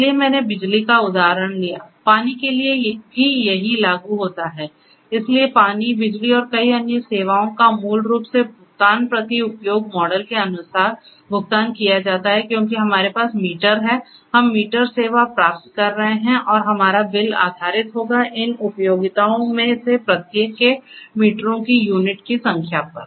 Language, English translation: Hindi, So, I took the case I took the case of electricity the same applies for water as well, so water, electricity and many different other services basically follow the pay per use model because we have meter, we are getting meter service and we will be billed based on the number of units of the meters of conjunction that we will have for each of these utility